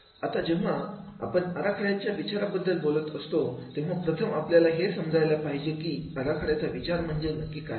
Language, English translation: Marathi, Now when we talk about the design thinking, so first we have to understand what is the design thinking